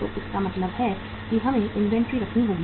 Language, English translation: Hindi, So it means we have to keep the inventory